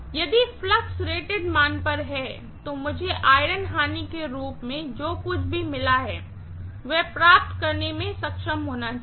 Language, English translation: Hindi, If the flux is at rated value, I should be able to get whatever is lost as the iron loss